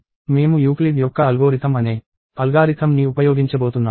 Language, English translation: Telugu, We are going to use an algorithm called the Euclid’s algorithm